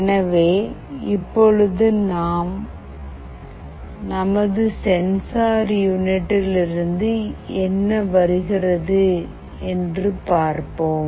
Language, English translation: Tamil, So, let us see what is coming here in our sensing unit